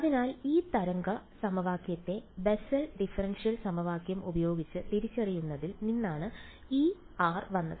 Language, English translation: Malayalam, So, this r came from identifying this wave equation over here with the Bessel differential equation correct